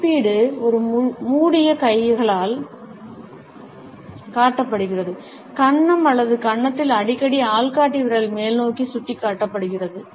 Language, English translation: Tamil, Evaluation is showed by a closed hand, resting on the chin or cheek often with the index finger pointing upwards